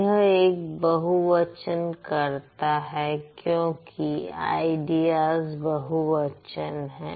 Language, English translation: Hindi, It's a plural subject because ideas, that's plural